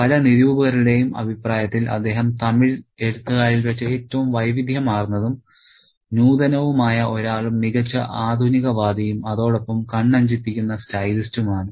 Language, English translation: Malayalam, And according to many critics, he is one of the most versatile and innovative of Tamil writers and a great modernist and a dazzling stylist